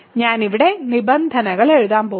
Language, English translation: Malayalam, So, I am going to write the terms here